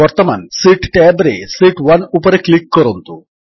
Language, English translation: Odia, Now, on the Sheet tab click on Sheet 1